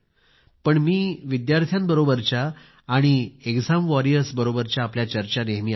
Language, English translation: Marathi, But I regularly listen to your conversations with students and exam warriors